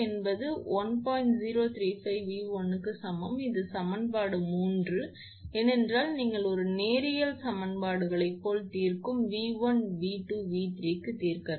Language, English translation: Tamil, 0345 V 1, this is equation 3, because you have to solve for V 1, V 2, V 3 just like solving like a linear equations